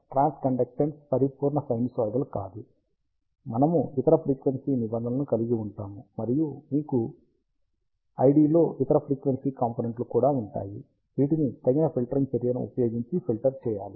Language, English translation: Telugu, The transconductance being a not pure sinusoidal, we will contain other frequency terms, and you will also have other frequency components present in the I D, which have to be filtered out using appropriate filtering actions